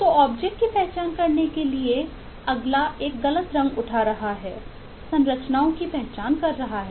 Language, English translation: Hindi, so the next eh to identifying the objects is picking up a wrong color, is identifying structures